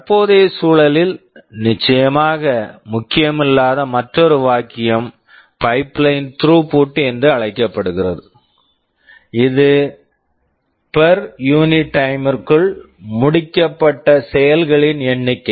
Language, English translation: Tamil, And another term which is of course is not that important in the present context is called pipeline throughput; the number of operations completed per unit time